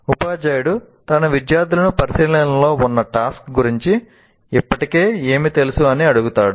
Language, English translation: Telugu, Teacher asks her students what they already know about the task under consideration